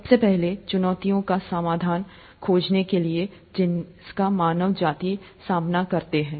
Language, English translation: Hindi, First, to find solutions to challenges, that face mankind